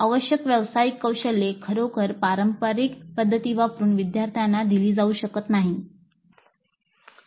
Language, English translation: Marathi, The professional skills required cannot be really imparted to the learners using the traditional methods